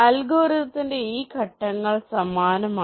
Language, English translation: Malayalam, this steps of the algorithm are similar